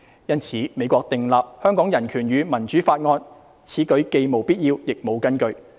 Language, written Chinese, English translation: Cantonese, 因此，美國訂立《香港人權與民主法案》，此舉既無必要亦無根據。, Therefore the enactment of the Hong Kong Human Rights and Democracy Act by the United States is unnecessary and unwarranted